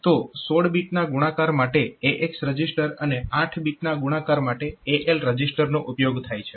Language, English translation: Gujarati, So, for 16 bit multiplication so it will be AX register for 8 bit multiplication will have AL register another register b x